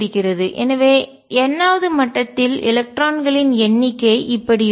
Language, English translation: Tamil, So, the number of electrons in the nth level will be